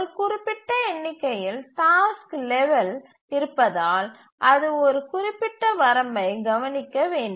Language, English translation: Tamil, And since there is a limited number of task levels and therefore it just needs to look for up to a certain limit